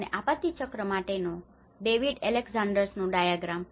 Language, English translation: Gujarati, And the David Alexanders Diagram of the disaster cycle